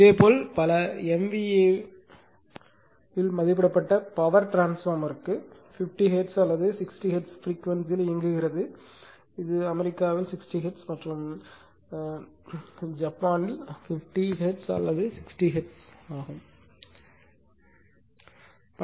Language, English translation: Tamil, And similarly for power transformer rated possibly at several MVA and operating at a frequency 50 Hertz or 60 Hertz that is USA actually it is 60 Hertz and 50 Hertz or 60 Hertz both are there in Japan, right